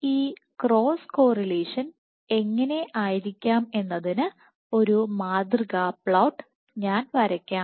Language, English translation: Malayalam, So, let me draw a sample plot as to how this cross correlation might look like